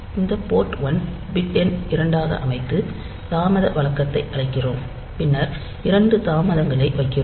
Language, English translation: Tamil, We set this port ones bit number two then call the delay routine then put two delays